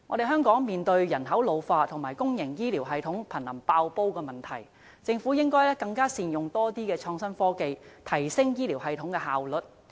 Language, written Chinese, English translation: Cantonese, 香港面對人口老化及公營醫療系統瀕臨"爆煲"的問題，政府應善用更多創新科技，提升醫療系統的效率。, Hong Kong now faces the problem whereby the ageing population and the public health care system are on the brink of explosion . As such the Government should make better use of more innovation and technology to enhance the efficiency of the health care system